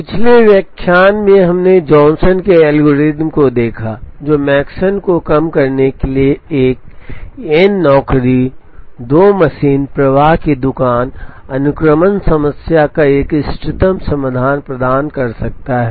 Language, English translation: Hindi, In the previous lecture, we saw the Johnson’s algorithm, which could provide an optimum solution to a n job, 2 machine, flow shop, sequencing problem to minimize Makespan